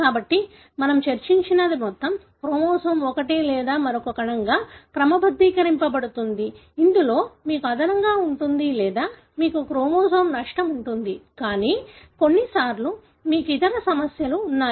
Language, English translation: Telugu, So, what we have discussed is the whole chromosome being sorted into one or the other cell, wherein you have an addition or you have a loss of a whole chromosome; but at times you have had other problems